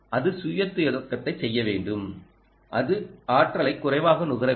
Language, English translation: Tamil, it should do self starting and it should be least energy ah consuming itself